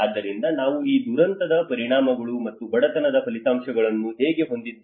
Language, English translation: Kannada, So that is how we have this disaster impacts and poverty outcomes